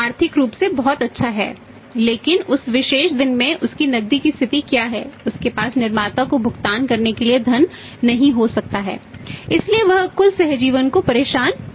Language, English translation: Hindi, He is very good financially but what is his liquidity on that particular day he may not have the funds to pay to the manufacturer so he disturbs the total symbiosis